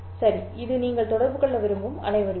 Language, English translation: Tamil, This is the waveform that you want to communicate